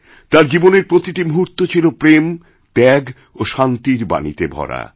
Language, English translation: Bengali, In every moment of his life, the message of love, sacrifice & peace was palpable